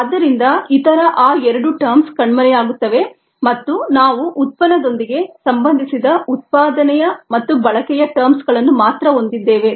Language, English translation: Kannada, so the other the, those two terms disappear and we have only the generation and consumption terms associated with the product